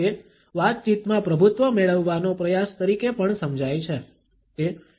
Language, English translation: Gujarati, It is also understood as an attempt to dominate the conversation